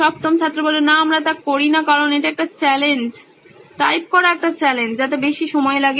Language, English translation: Bengali, No, we do not do that because it is a challenge, typing is a challenge it takes more of time